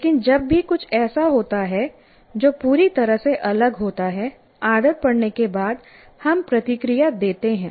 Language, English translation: Hindi, But whenever there is something that is completely different after we get habituated, it comes, we respond